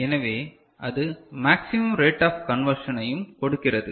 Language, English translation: Tamil, So, that and it also gives a maximum rate of conversion ok